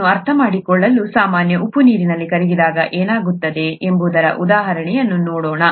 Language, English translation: Kannada, To understand that, let us look at an example of what happens when common salt dissolves in water